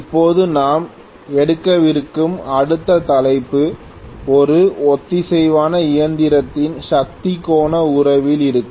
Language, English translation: Tamil, Now, the next topic that we are going to take up will be on power angle relationship of a synchronous machine